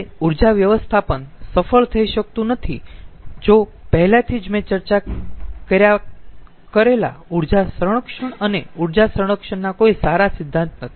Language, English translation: Gujarati, that cannot be successful if there is no good principle of energy conservation and energy conservation already i have discussed